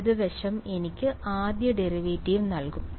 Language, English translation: Malayalam, The left hand side will give me first derivative